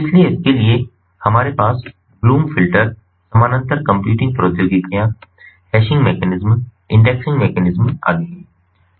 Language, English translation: Hindi, so for this we have the bloom filter, parallel computing technologies, hashing mechanisms, indexing mechanisms and so on